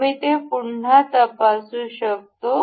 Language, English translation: Marathi, We can check it again